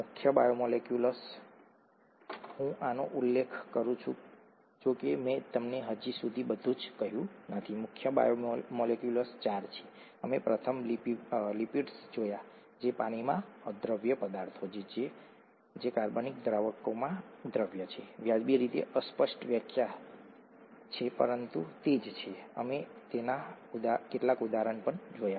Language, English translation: Gujarati, The major biomolecules, I keep mentioning this although I haven’t told you everything so far, the major biomolecules are four, we first saw lipids which are water insoluble substances that are soluble in organic solvents, reasonably vague definition but that’s what it is, we saw some examples of it